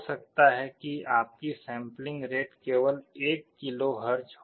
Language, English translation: Hindi, May be your sampling rate will be 1 KHz only